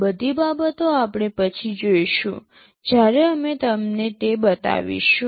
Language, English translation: Gujarati, All these things we shall see later when we show you the demonstration